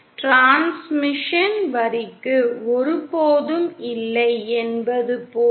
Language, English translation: Tamil, Means as if the transmission line is never present